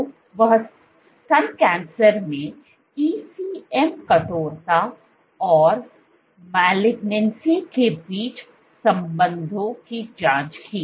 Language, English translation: Hindi, So, what she is probed was the relationship ECM stiffness and malignancy in breast cancer